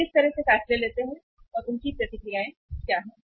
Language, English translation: Hindi, What kind of the decisions they take and what is their reactions